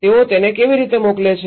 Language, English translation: Gujarati, How do they send it